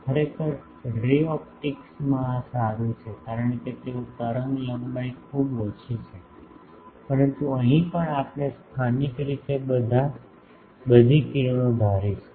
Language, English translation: Gujarati, Actually, in ray optics this holds good because they are wavelength is very small, but here also we will assume these that locally all the rays